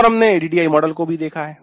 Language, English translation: Hindi, We took looked at one of the models ADI